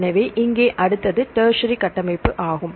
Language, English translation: Tamil, So, here the next one is tertiary structure